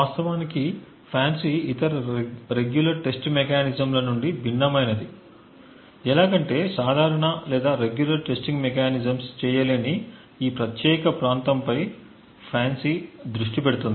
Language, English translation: Telugu, The way FANCI actually differs from the other regular testing mechanisms is that FANCI focuses on this particular area which normal or regular testing mechanisms would not actually cater to